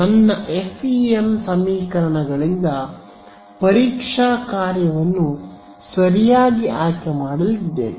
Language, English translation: Kannada, So, my FEM equations are going to give me I am going to choose a testing function right